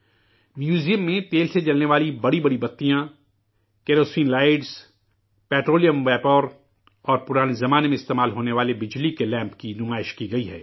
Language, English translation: Urdu, Giant wicks of oil lamps, kerosene lights, petroleum vapour, and electric lamps that were used in olden times are exhibited at the museum